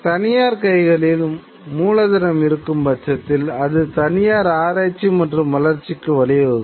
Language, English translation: Tamil, Or if it is in private hands, then it leads to private research and development